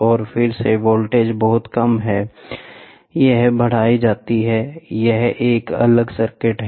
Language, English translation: Hindi, And again the voltage is too small, it is getting amplified, there is a separate circuit